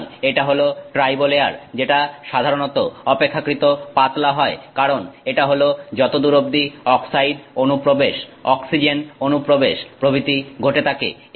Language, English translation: Bengali, So, that is the tribolayer that is usually relatively thin because that's how far the oxide penetration happens, oxygen penetration and so on, that happens